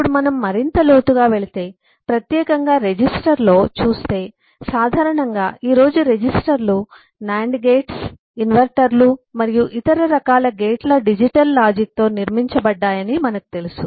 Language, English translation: Telugu, now again, if you go deeper, look specifically into register, we know that eh, typically today the registers are built with digital logic of nand gates, uh inverters and other different kinds of gates